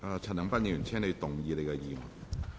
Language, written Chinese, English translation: Cantonese, 陳恒鑌議員，請動議你的議案。, Mr CHAN Han - pan please move your motion